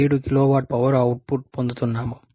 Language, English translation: Telugu, 7 kilowatt of power output